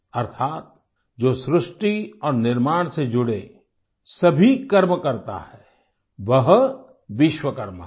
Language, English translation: Hindi, Meaning, the one who takes all efforts in the process of creating and building is a Vishwakarma